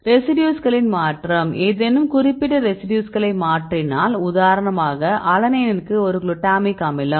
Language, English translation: Tamil, Change of residues for example, if you change any specific residues for example, you change a glutamic acid to alanine